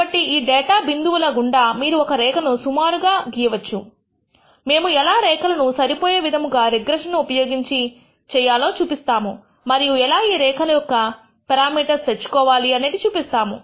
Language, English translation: Telugu, So, you can plot a line approximate line through these data points we will show how to fit such lines using regression and how to obtain the parameters of this line that we have actually indicated here